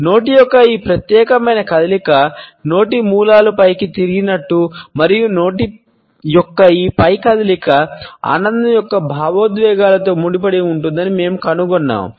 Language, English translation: Telugu, During this particular movement of the mouth we find that corners of the mouth at turned upwards and this upward movement of the mouth is associated with emotions of happiness